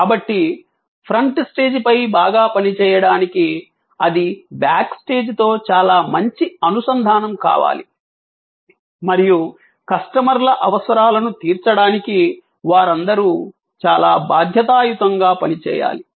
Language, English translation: Telugu, So, to serve well on the front stage, that has to be a very good integration with the back stage and they have to be all working quite responsively to meet customers need adequately or preferably beyond his or her expectation